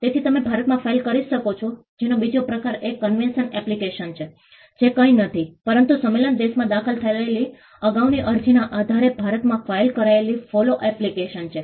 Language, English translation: Gujarati, So, the second type of application that you can file in India is a convention application, which is nothing, but a follow application filed in India, based on an earlier application that was filed in a convention country